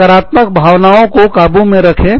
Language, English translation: Hindi, Keep negative emotions, under control